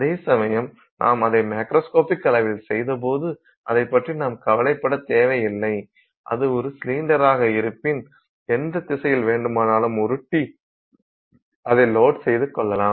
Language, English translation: Tamil, Whereas when you made it in the macroscopic scale you didn't care it was a cylinder you could roll it and any in any direction you could load the sample it would hold